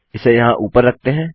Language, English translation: Hindi, So lets just put this up here